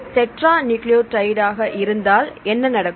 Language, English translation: Tamil, Then what will happen if tetranucleotides